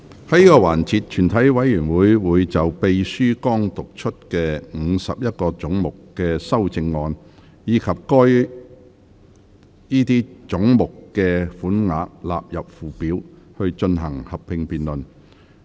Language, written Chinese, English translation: Cantonese, 在這個環節，全體委員會會就秘書剛讀出的51個總目的修正案，以及該些總目的款額納入附表，進行合併辯論。, In this session the committee will proceed to a joint debate on the amendments to the 51 heads read out by the Clerk just now and the sums for such heads standing part of the Schedule